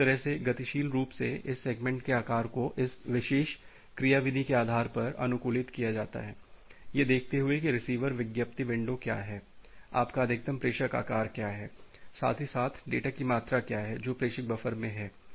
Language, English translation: Hindi, So, that way dynamically this segment size are get adapted based on this particular mechanism by looking into that what is the receiver advertised window, what is your maximum sender size, as well as what is the amount of data which is there in the sender buffer